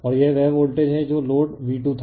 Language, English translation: Hindi, And this is the voltage that was the load is V 2